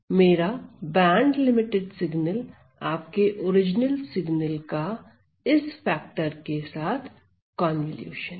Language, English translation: Hindi, So, my band limited signal is a convolution of your original signal with this factor